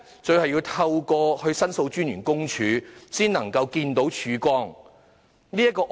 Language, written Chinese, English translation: Cantonese, 最後要透過申訴專員公署的協助才能見到曙光。, In the end it was only through the assistance of the Office of the Ombudsman that he could see a glimpse of hope